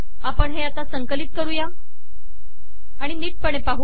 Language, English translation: Marathi, We will compile it and we will go through that